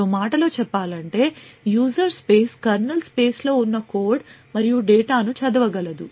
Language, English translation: Telugu, In other words, a user space would be able to read code and data present in the kernel space